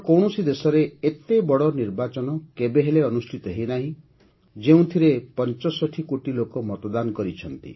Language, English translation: Odia, An election as big as this, in which 65 crore people cast their votes, has never taken place in any other country in the world